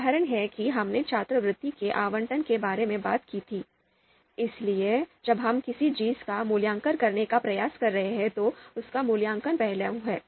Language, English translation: Hindi, The example that we talked about the allocation of scholarships, so that is evaluation facet we are trying to evaluate, that was a ranking problem